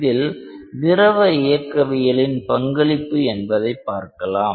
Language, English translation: Tamil, And let us see that how fluid mechanics plays a role towards that